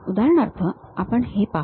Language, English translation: Marathi, For example, let us look at this